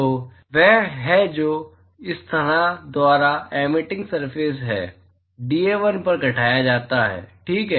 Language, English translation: Hindi, So, that is the solid angle that is subtended by this surface on the emitting surface dA1 ok